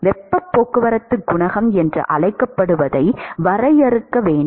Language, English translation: Tamil, So, that is the definition for heat transport coefficient